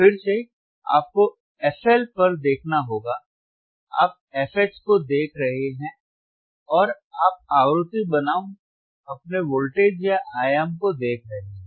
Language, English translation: Hindi, Again, you hasve to looking at FLFL, you are looking at FH right and you are looking at the frequency versus your voltage or amplitude right;